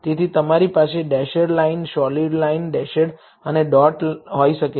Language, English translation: Gujarati, So, you can have dashed lines solid line, dashed and a dot